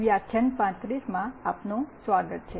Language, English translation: Gujarati, Welcome to lecture 35